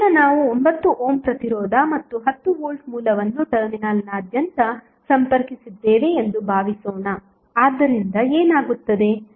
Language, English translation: Kannada, So, now suppose we have load of 9 ohm resistance and 10 ohm voltage connected across the terminal so what happens